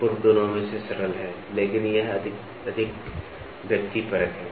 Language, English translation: Hindi, The former is simpler of both, but it is more subjective